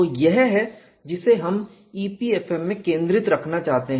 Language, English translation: Hindi, So, this is what we want to keep that as a focus in EPFM